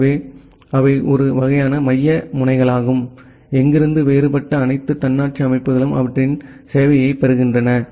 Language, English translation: Tamil, So, they are the kind of central nodes, from where all the different other autonomous systems they are getting their service